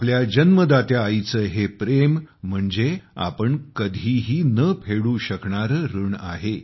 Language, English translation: Marathi, This love of the mother who has given birth is like a debt on all of us, which no one can repay